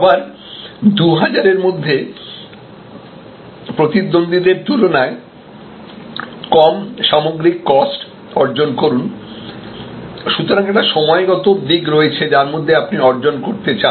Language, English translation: Bengali, Attain lower overall cost than rivals by again 2000, so there is a temporal aspect time aspect by which time, what you would like to achieve